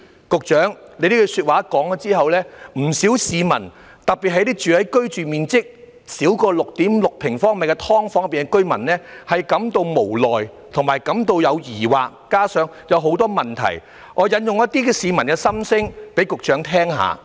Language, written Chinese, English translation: Cantonese, 局長這句話說出來後，不少市民，特別是居住面積少於 6.6 平方米的"劏房"居民，都感到無奈和疑惑，加上有很多問題......讓我引述一些市民的心聲給局長聽聽。, After the Secretary has said so many members of the public felt helpless and doubtful; coupled with that there are many queries allow me to cite some of the peoples inner voices to the Secretary